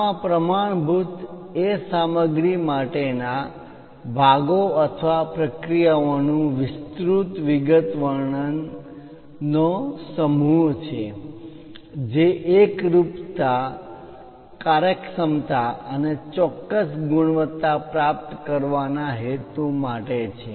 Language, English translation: Gujarati, In this a standard is a set of specification of parts for materials or processes intended to achieve uniformity, efficiency and specific quality